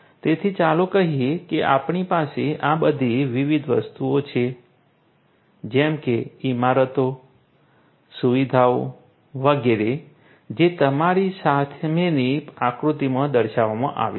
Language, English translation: Gujarati, So, let us say that we have all these different ones like buildings, facilities, etcetera like the ones that are shown in the figure in front of you